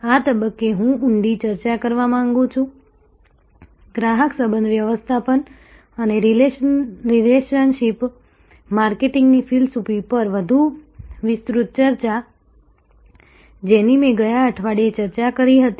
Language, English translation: Gujarati, At this stage, I want to get into a deeper discussion, a more extensive discussion on customer relationship management and the philosophy of relationship marketing, which I had started discussion, discussing last week